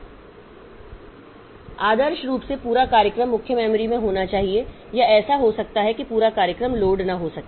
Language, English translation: Hindi, So, ideally the entire program be in the main memory or it may so happen that entire program cannot be loaded